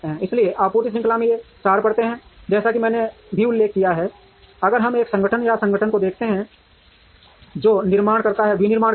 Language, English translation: Hindi, So, these are four layers in the supply chain, as I also mentioned, if we are going to look at one organization or the organization, which is doing the manufacturing